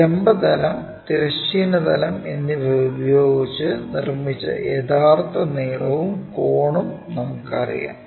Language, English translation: Malayalam, Somehow we already know that true length and angle made by the vertical plane, horizontal plane